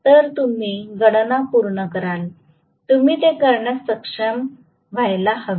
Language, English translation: Marathi, So, you guys will complete the calculation, you should be able to do it